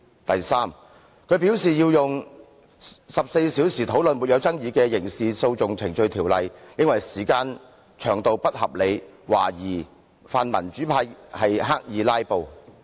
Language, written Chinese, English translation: Cantonese, 第三，他認為用14小時討論不具爭議的根據《刑事訴訟程序條例》動議的擬議決議案，時間不合理，懷疑泛民主派刻意"拉布"。, Third he thinks that spending 14 hours discussing an uncontroversial proposed resolution under the Criminal Procedure Ordinance is unreasonable timewise so he suspects the pan - democrats of filibustering deliberately